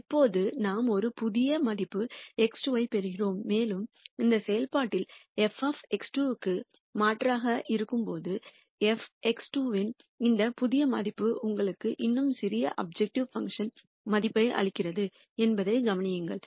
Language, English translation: Tamil, Now, we get a new value X 2 and notice that this new value of f X 2 when substituted into this function f of X 2 give you even smaller objective function value